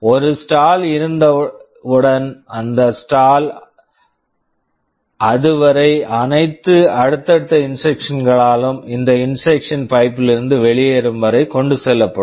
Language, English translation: Tamil, And once a stall is there this stall will be carried by all subsequent instructions until that instruction exits the pipe